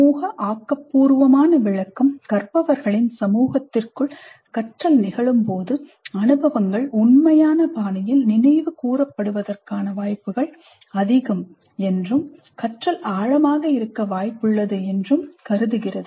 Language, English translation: Tamil, So the social constructivist interpretation assumes that when the learning occurs within a community of learners the experiences are more likely to be recollected in an authentic fashion and learning is more likely to be deep